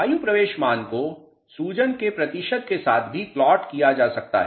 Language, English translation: Hindi, Air entry value can also be plotted with percentage swelling